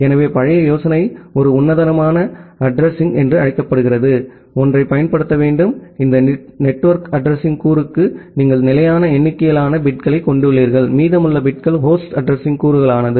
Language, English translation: Tamil, So, the old idea was to use something called a classful addressing, where you have fixed number of bits for this network address component, and the remaining bits was for the host address component